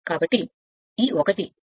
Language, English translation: Telugu, So, we know this